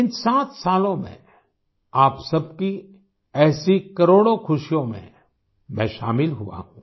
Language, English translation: Hindi, In these 7 years, I have been associated with a million moments of your happiness